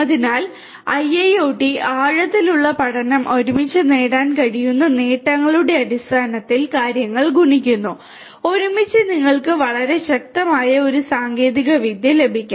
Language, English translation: Malayalam, So, together IIoT, deep learning together makes things multiplicative in terms of the benefits that can be obtained and together you get a very powerful technology